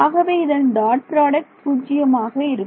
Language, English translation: Tamil, So, the dot product will give me 0